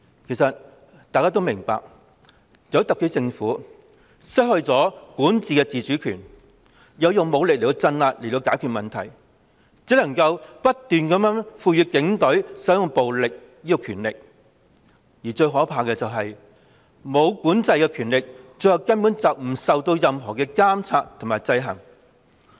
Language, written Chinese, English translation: Cantonese, 其實大家也明白，由於特區政府失去了管治的自主權，要透過武力鎮壓解決問題，故只能不斷賦予警隊使用暴力的權力，而最可怕的是，無管制的權力最後根本不受任何監察和制衡。, Actually we all understand that because the SAR Government has lost its autonomy in governance and must rely on violent crackdown to solve problems that it keeps giving the Police the mandate to use violence but the most terrible thing is that subsequently this uncontrolled power is neither monitored nor checked and balanced